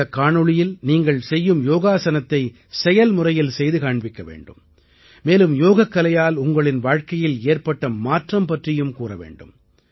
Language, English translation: Tamil, In this video, you have to show performing Yoga, or Asana, that you usually do and also tell about the changes that have taken place in your life through yoga